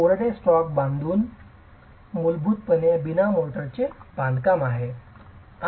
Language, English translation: Marathi, So, dry stack construction is basically mortar less construction